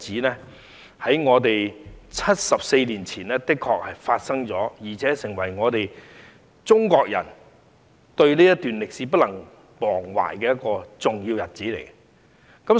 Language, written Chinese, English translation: Cantonese, 在74年前的這一天，確實發生了作為中國人所不能忘懷的重要歷史事蹟。, On that day 74 years ago an important event happened that no Chinese people can forget